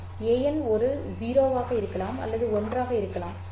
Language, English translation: Tamil, N can be 0 or it can be 1